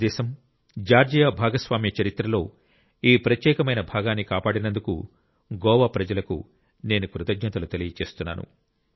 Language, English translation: Telugu, Today, I would like to thank the people of Goa for preserving this unique side of the shared history of India and Georgia